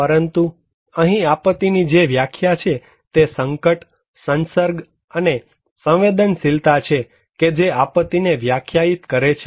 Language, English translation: Gujarati, But, here is the definition of disaster that is hazard, exposure and vulnerability; that is defining the disaster